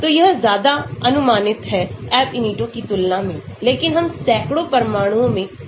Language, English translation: Hindi, so it is more approximate than Ab initio but we can go to hundreds of atoms